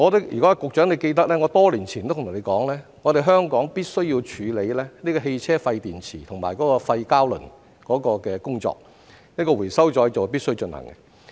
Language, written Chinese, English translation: Cantonese, 如果局長記得，我多年前曾對他說，香港必須處理汽車廢電池和廢膠輪的工作，回收再造是必須進行的。, The Secretary may recall that some years ago I told him that Hong Kong must deal with waste vehicle batteries and waste rubber tyres . Recycling was a must